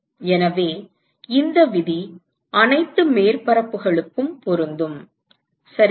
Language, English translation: Tamil, So, this rule is valid for all the surfaces right